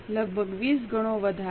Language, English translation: Gujarati, Almost 20 times increase